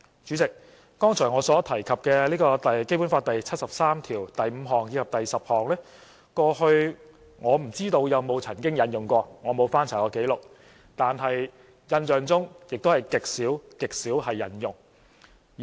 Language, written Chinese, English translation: Cantonese, 主席，剛才我所提及的《基本法》第七十三條第五項及第十項，我不知道過去曾否引用過，我沒翻查過紀錄，但印象中是極少極少引用。, President I do not know whether Articles 735 and 7310 of the Basic Law which I mentioned just now have ever been invoked . I have not checked the record but my impression is that they have rarely been invoked